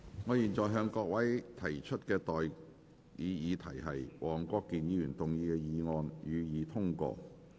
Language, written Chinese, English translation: Cantonese, 我現在向各位提出的待議議題是：黃國健議員動議的議案，予以通過。, I now propose the question to you and that is That the motion moved by Mr WONG Kwok - kin be passed